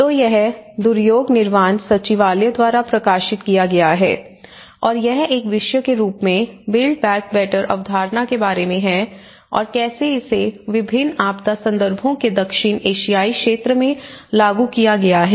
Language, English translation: Hindi, So, this has been published by Duryog Nivaran secretariat and this is about the build back better concept as a theme and how it has been implemented in different disaster context in the South Asian region